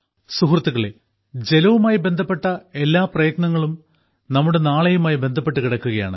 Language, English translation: Malayalam, Friends, every effort related to water is related to our tomorrow